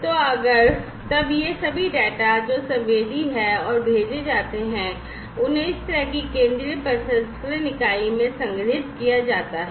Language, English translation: Hindi, So, if then that all these data that are sensed and sent are stored in this central processing unit like this